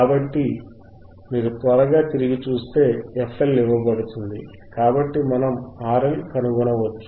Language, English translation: Telugu, So, if you quickly see back, we can find value of f L and from that we have f L is given